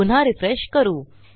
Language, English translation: Marathi, So lets refresh that again